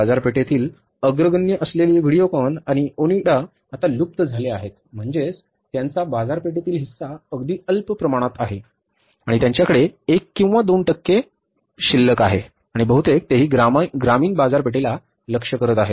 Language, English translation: Marathi, Even the Videocon and Onida which were the leaders in the market now they have become, means their market share is just very, very meager amount of the share is left with them, 1 or 2 percent and almost that too they are targeting to the rural markets